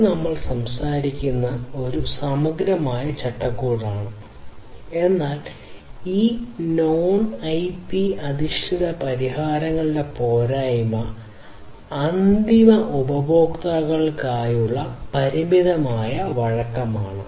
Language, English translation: Malayalam, So, this is this holistic framework that we are talking about over here, but the drawback of this non IP based solutions are that there is limited flexibility to end users